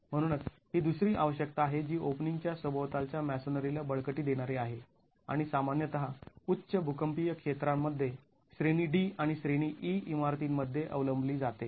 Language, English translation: Marathi, So this is the other requirement which is strengthening of masonry around openings and typically adopted in higher seismic zones, category D and category E buildings